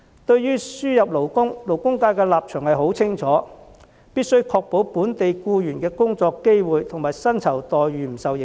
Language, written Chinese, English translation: Cantonese, 對於輸入勞工，勞工界的立場很清楚，是必須確保本地僱員的工作機會及薪酬待遇不受影響。, Concerning the importation of labour the stance of the labour sector is very clear . The Government must make sure that the employment opportunities and remuneration of local employees will not be affected